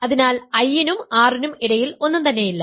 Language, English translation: Malayalam, So, there is nothing between nothing properly between I and R